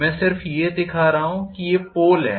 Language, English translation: Hindi, I am just showing these are the poles